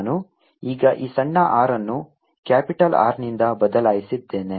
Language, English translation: Kannada, i am going to replace this small r now by capital r